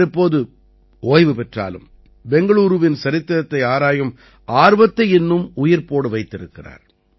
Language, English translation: Tamil, Though he is now retired, his passion to explore the history of Bengaluru is still alive